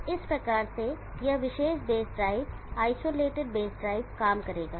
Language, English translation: Hindi, So this is how this particular based drive isolated base drive will work